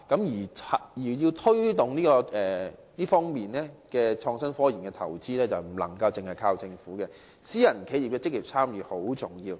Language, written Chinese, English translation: Cantonese, 如要推動創新科研的投資，不能單靠政府，私人企業的積極參與亦很重要。, To boost investment in IT and RD we cannot solely rely on the Government . Active participation by private enterprises is also very important